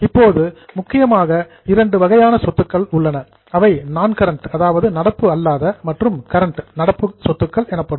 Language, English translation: Tamil, Then two major types of assets, non current current within non current you have got fixed and fixed assets and investment